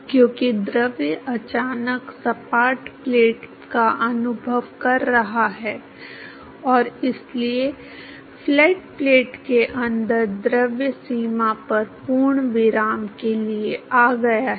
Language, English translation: Hindi, Because the fluid is suddenly experiencing the flat plate, and so, just inside the flat plate the fluid is come to complete rest at the boundary